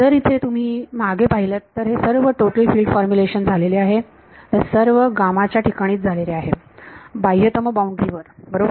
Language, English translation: Marathi, If you look back here this total field formulation all of this is happened this all of this happened on gamma itself outermost boundary right